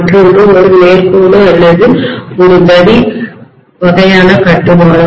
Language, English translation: Tamil, The other one is just a straight line or a rod kind of construction, right